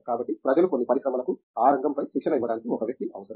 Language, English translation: Telugu, So, people has to, some industry needs a person to be trained on that area